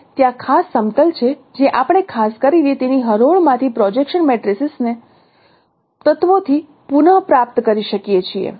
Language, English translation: Gujarati, And there are also special planes which we can recover from the projection matrix as elements, particularly from its rows